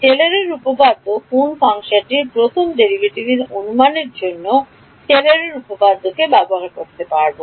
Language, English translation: Bengali, What will Taylor’s theorem can Taylor’s theorem be used to give an approximation for first derivative of a function yes what should I do